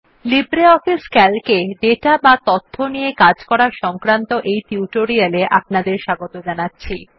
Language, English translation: Bengali, Welcome to the Spoken tutorial on LibreOffice Calc – Working with data